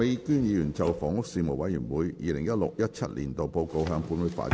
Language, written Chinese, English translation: Cantonese, 麥美娟議員就"房屋事務委員會 2016-2017 年度報告"向本會發言。, Ms Alice MAK will address the Council on the Report of the Panel on Housing 2016 - 2017